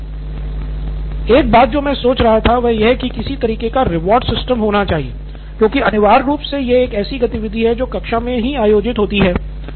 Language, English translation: Hindi, One thing I was thinking is some kind of rewarding should take place because essentially this is an activity that is conducted within the classroom itself